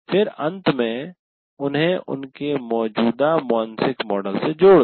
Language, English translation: Hindi, And then finally relate them to their existing mental mode